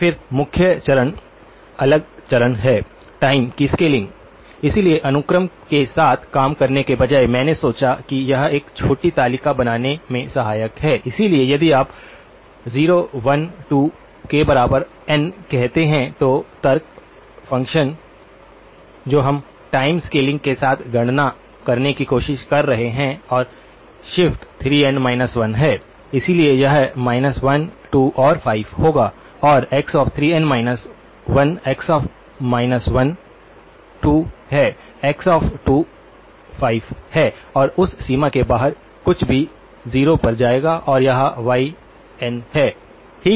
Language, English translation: Hindi, Then the key step is the next step is the scaling of time, so rather than work with the sequence, I thought it is helpful to form a small table, so if you say n equal to 0, 1, 2, the argument of the function that we are trying to compute with the time scaling and the shift is 3n minus 1, so this would be minus 1, 2 and 5 and x of 3n minus 1, x of minus 1 is 2, x of 2 is 5 and anything outside that range will go to 0 and this becomes y of n, okay